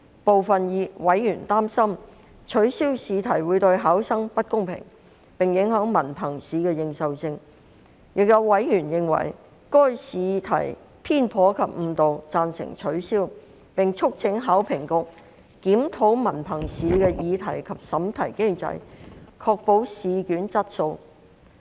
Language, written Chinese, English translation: Cantonese, 部分委員擔心，取消試題會對考生不公平，並影響文憑試的認受性，亦有委員認為，由於該試題偏頗及誤導，因此贊成取消，並促請考評局檢討文憑試的擬題及審題機制，以確保試卷質素。, Some members were worried that the act would cause unfairness to the candidates and have adverse impact on the recognition of HKDSE Examination . Other members considered the question concerned biased and misleading and thus supported the invalidation . Members also urged HKEAA to review the question setting and moderation mechanism of HKDSE Examination so as to ensure the quality of examination papers